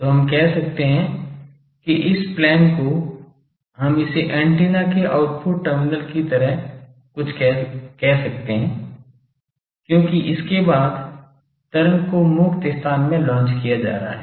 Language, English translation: Hindi, So, we can say that this plane here we can call this as the something like output terminal of an antenna, because after this the wave is being launched in free space